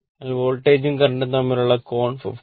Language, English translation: Malayalam, So, angle between the voltage as current is 53